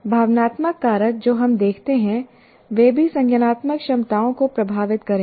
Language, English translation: Hindi, For example, there are emotional factors that we see will also influence our cognitive abilities